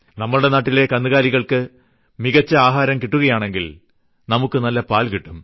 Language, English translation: Malayalam, If our animals get good feed, then we will get good milk